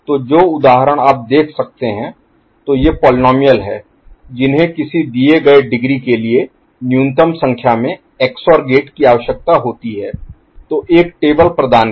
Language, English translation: Hindi, So, the example that you can see; so these are the polynomials that requires minimal number of minimal number of XOR gates for a given degree; so, provided a table